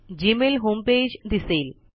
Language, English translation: Marathi, The Gmail home page appears